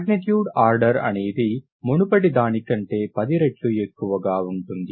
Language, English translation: Telugu, An order of magnitude is 10 times what is the previous one